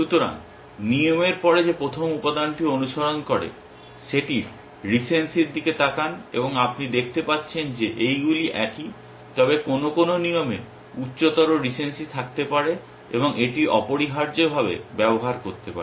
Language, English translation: Bengali, So, the first element which follows after the rule, look at the recency of that and as you can see all these are same, but some of the rule may have higher recency and use that essentially